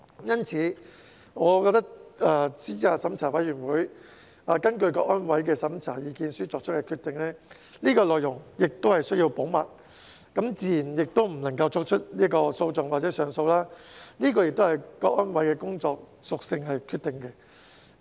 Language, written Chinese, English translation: Cantonese, 因此，我覺得資審會根據香港國安委的審查意見書作出的決定，內容必須保密，自然也不能提起訴訟或上訴，這也是由香港國安委的工作屬性所决定的。, Therefore I think the contents of a decision made by CERC pursuant to the opinion of CSNS must be kept confidential and naturally shall not be subject to judicial review or appeal and this is also determined by the nature of the work of CSNS